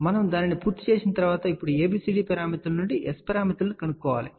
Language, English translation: Telugu, Once we have done that, now we have to find the S parameters from these ABCD parameters